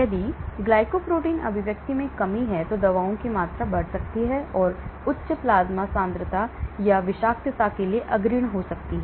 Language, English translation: Hindi, If the glycoprotein expressions are low, then the amount of the drug may go up which may be leading to higher plasma concentration or even toxicity